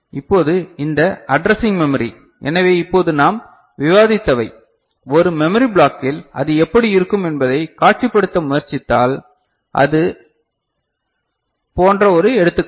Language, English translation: Tamil, Now, this addressing memory; so just now what we had discussed, if you try to visualize how it looks like, in a memory block this is one such example